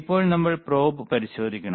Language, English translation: Malayalam, Now, we have to test the probe